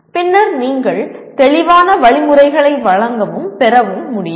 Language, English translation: Tamil, And then further you should be able to give and receive clear instructions